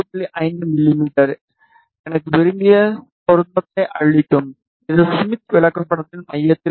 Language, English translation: Tamil, 5 mm will give me desired match which is at the centre of the smith chart